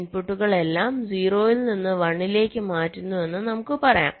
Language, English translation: Malayalam, lets say the inputs are changing all of them from zero to one